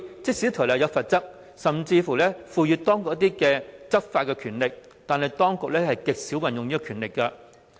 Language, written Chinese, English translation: Cantonese, 即使《條例》設有罰則，而且當局也有執法權力，但極少運用這項權力。, Despite the penalties stipulated in BMO and the authorities having been conferred law enforcement power such power was rarely exercised